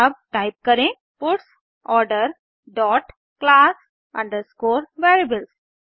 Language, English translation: Hindi, Now let us type puts Order dot class underscore variables